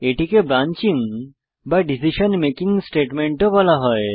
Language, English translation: Bengali, It is also called as branching or decision making statement